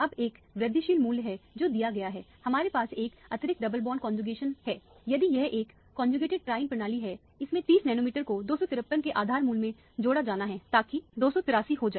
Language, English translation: Hindi, Now, there is an incremental value that is given, we have an extended one additional double bond conjugating, it 30 nanometer has to be added to the base value of 253, so that will become 283, if it is a conjugated triene system